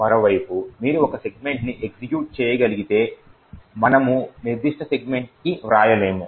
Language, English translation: Telugu, On the other hand, if you can execute a segment we cannot write to that particular segment